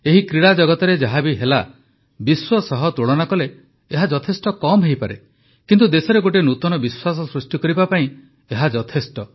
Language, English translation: Odia, Whatever our country earned in this world of Sports may be little in comparison with the world, but enough has happened to bolster our belief